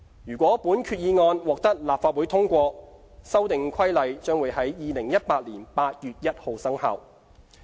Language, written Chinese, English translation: Cantonese, 如果本決議案獲立法會通過，《修訂規例》會在2018年8月1日生效。, Subject to passage of the resolution by the Legislative Council the Amendment Regulation will come into effect on 1 August 2018